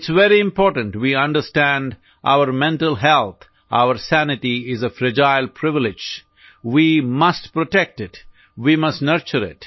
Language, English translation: Hindi, It's very important we understand our mental health, our sanity is a fragile privilege; we must protect it; we must nurture it